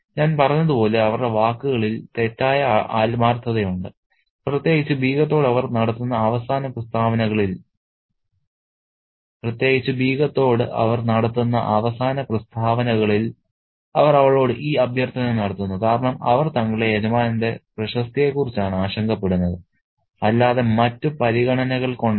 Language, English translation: Malayalam, And as I said, there is false sincerity in their words, especially in the closing statements that they make to the Begham where they say that they make this plea to her because they are worried about the reputation of their master and not because of any other consideration